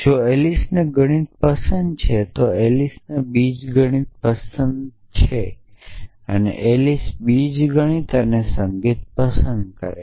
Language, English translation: Gujarati, If Alice likes math then Alice likes algebra if Alice likes algebra and music